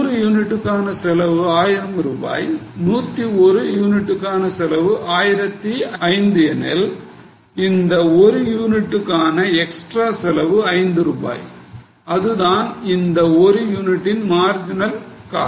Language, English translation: Tamil, So, for 100 units if cost is 1000 rupees, if you make 101 unit and the cost is 1,000 5, then for one unit the extra cost is 5 rupees, that is a marginal cost of one unit